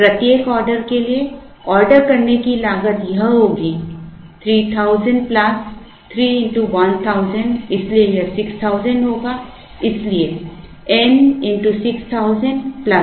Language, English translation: Hindi, For each order the ordering cost is going to be this 3000 plus 3 into 1000 so it will be 6000, so n into 6000 plus Q by 2 into C C